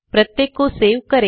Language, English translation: Hindi, Save each of them